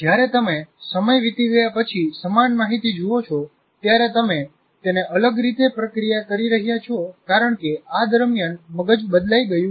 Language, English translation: Gujarati, So when you look at some, same information, let us say, after some time, after a lapse of time, you are processing it differently because meanwhile the brain has changed